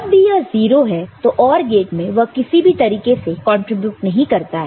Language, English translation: Hindi, And whenever this is 0, so in the OR gate it does not you know, contribute in any way